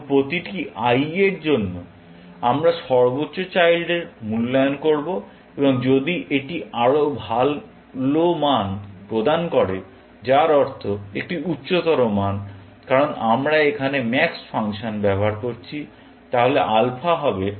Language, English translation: Bengali, So, for every i, we will evaluate the highest child, and if its providing the better value, which means a higher value, because we are using the max function here, then alpha